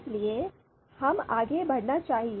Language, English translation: Hindi, So let’s move forward